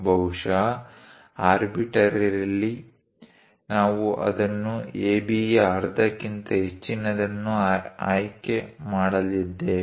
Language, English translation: Kannada, Perhaps arbitrarily, we are going to pick this one as the greater than half of AB